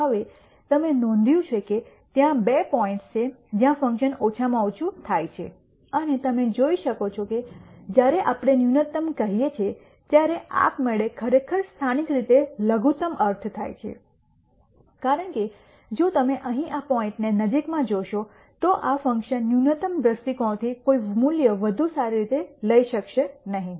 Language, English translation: Gujarati, Now, you notice that there are two points where the function attains a minimum and you can see that when we say minimum we automatically actually only mean locally minimum because if you notice this point here in the vicinity of this point this function cannot take any better value from a minimization viewpoint